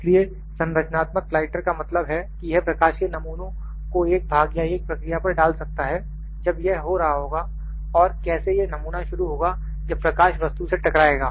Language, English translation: Hindi, So, by structural lighter means, that this can be project a pattern of light on to a part or a process when it is happening and how the pattern is started when the light hits the object